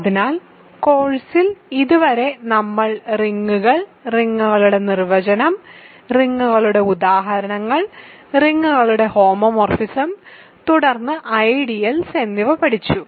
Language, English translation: Malayalam, So, far in the course, we have studied rings, definition of rings, examples of rings, homomorphism of a rings and then I introduce ideals